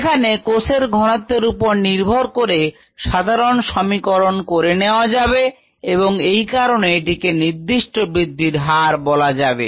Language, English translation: Bengali, it is been normalized with respective cell concentration and therefore it is called the specific growth rate